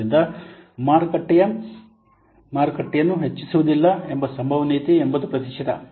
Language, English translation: Kannada, So, the probability that it will not be expanded as 80 percent